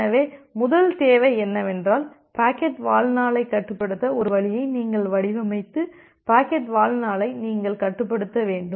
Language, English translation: Tamil, So, the first requirement is that you need to restrict the packet lifetime you need to design a way to restrict the packet lifetime